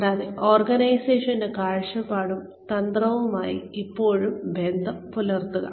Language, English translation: Malayalam, And, still stay in touch with the vision and strategy of the organization